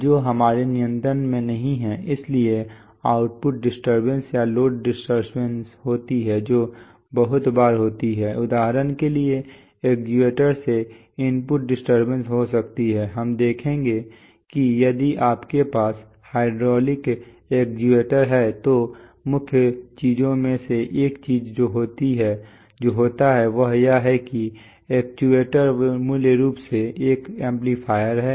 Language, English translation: Hindi, Which are not in our control, so there are output disturbances or load disturbances which occur very often, there are, there could be input disturbances from the actuator for example, we shall see that if you have a hydraulic actuator then one of the main things that happens in the, see the actuator is basically an amplifier